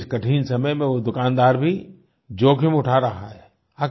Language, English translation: Hindi, In these troubled times, he too is taking a great risk